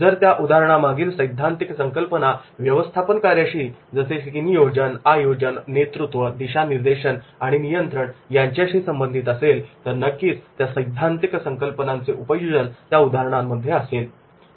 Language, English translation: Marathi, If the theory behind the case is related to the managerial functions like planning, organizing, leading, directing and controlling, then definitely in that case that application of theoretical concepts that will be applicable